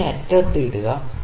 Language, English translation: Malayalam, So, it is put at the extreme end